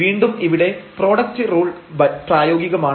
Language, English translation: Malayalam, So, here again the product rule will be applicable